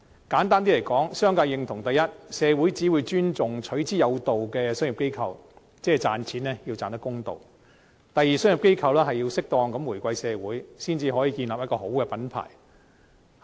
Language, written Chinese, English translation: Cantonese, 簡單來說，商界認同：第一，社會只會尊重取之有道的商業機構，即賺錢要賺得公道；第二，商業機構要適當地回饋社會，才可以建立一個良好品牌。, Simply put the business sector agrees first society will only respect commercial organizations which profit in a rightful way that means making money in a fair manner . Second commercial organizations should repay society appropriately in order to establish a good brand name